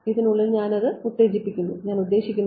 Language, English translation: Malayalam, So, I am exciting it within this and I mean